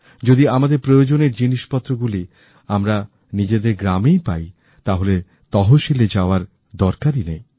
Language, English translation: Bengali, If it is found in Tehsil, then there is no need to go to the district